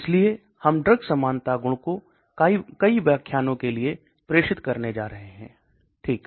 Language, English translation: Hindi, So we are going to introduce this term drug likeness property for a many, many lecture okay